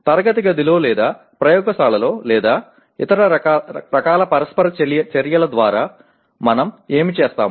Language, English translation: Telugu, What we do in the classroom or laboratory or through any other type of interaction